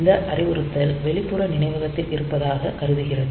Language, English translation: Tamil, So, it will be accessing the external memory